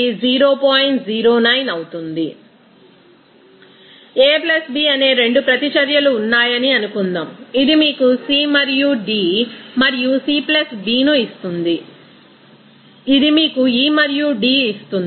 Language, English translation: Telugu, Other definitions like suppose there are 2 reactions A + B which will give you C and D and C + B which will give you E and D